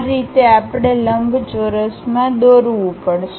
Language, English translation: Gujarati, That is the way we have to join these rectangles